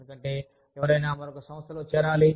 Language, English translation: Telugu, Why should, anyone join, another organization